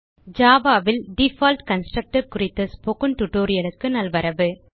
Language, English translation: Tamil, Welcome to the Spoken Tutorial on default constructor in java